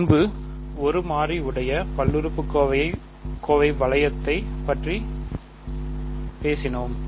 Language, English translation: Tamil, So, earlier we talked about one variable polynomial ring